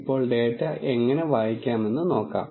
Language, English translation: Malayalam, Now, let us see how to read the data